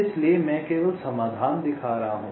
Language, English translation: Hindi, so i am showing the solutions only a